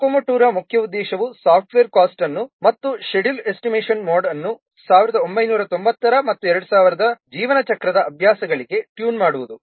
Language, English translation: Kannada, The main objective of Kokomo 2 is to develop a software cost and schedule estimation model which is tuned to the lifecycle practices of 1990s and 2000s